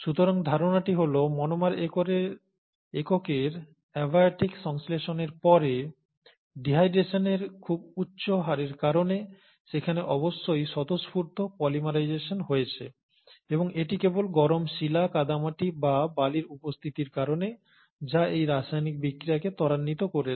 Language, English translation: Bengali, So the postulation is that after the abiotic synthesis of monomeric units, there must have been spontaneous polymerization due to very high rate of dehydration and that is simply because of the presence of hot rock, clay or sand which will promote this chemical reaction